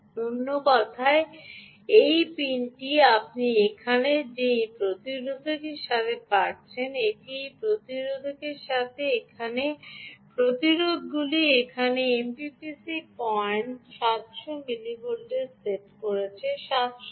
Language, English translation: Bengali, in other words, this pin that you see here, with this registers that are here, ah, with these, this resisters, this resisters here, will actually set the ah m p p c point to seven hundred millivolts